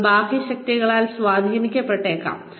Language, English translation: Malayalam, They are going to be influenced by external forces